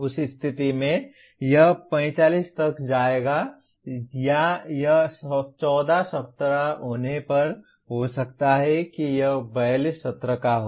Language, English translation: Hindi, In that case it will slightly go up to 45 or it may be if it is 14 weeks it could be 42 sessions